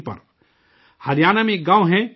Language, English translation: Urdu, There is a village in Haryana Dulhedi